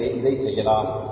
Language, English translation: Tamil, So, we can do it here also